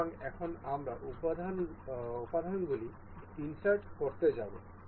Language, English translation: Bengali, So, now, we will go to insert components